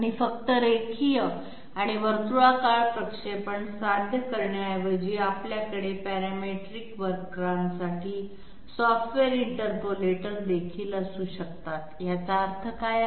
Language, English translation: Marathi, And instead of achieving just linear and circular interpolation, we can also have software interpolators for parametric curves, what is the meaning of this